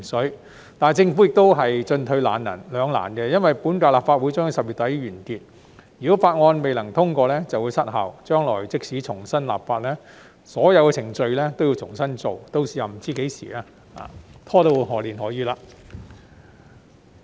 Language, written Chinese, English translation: Cantonese, 然而，政府亦都進退兩難，因為本屆立法會將於10月底完結，如果法案未能通過便會失效，將來即使重新立法，所有程序都要重新再做，屆時不知會拖到何年何月。, Nevertheless the Government is also caught in a dilemma . As the current term of the Legislative Council will expire at the end of October the Bill will lapse if it cannot be passed . Even if a piece of new legislation is to be enacted in the future all the procedures have to be gone through once more and no one knows how long it will drag on